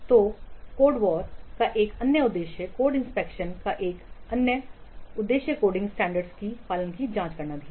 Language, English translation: Hindi, So another objective of code, another objective of code inspection is that to check adherence to the coding standards